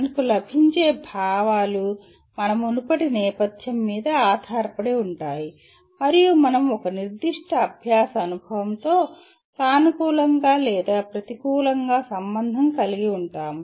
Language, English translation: Telugu, The feelings that we get are dependent on our previous background and we relate either positively or negatively to a particular learning experience